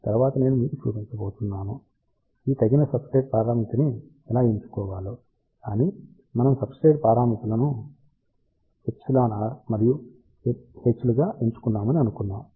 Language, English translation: Telugu, Later on I am going to show you, how to choose these appropriate substrate parameter, but let us just assume that we have chosen substrate parameters as epsilon r and h then first step is to calculate the width